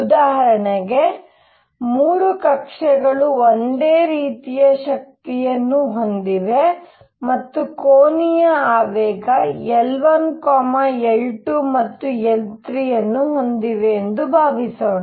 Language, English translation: Kannada, So, for example, suppose these 3 orbits have all the same energies and have angular momentum L 1 L 2 and L 3